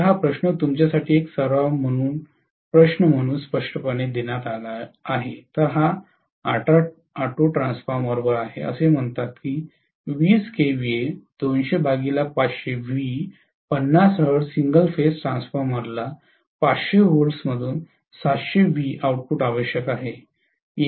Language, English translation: Marathi, So, this question apparently has been given as one of the exercise questions for you guys, so this is on auto transformer, it says a 20 kVA 200 by 500 volts 50 hertz single phase transformer requires a 700 volts output from a 500 volts input, it may be or 200 volts input, this has to be given